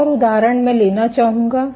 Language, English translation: Hindi, One more example I would like to take